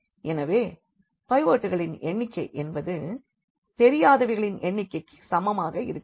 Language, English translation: Tamil, So, the number of pivots here is equal to number of unknowns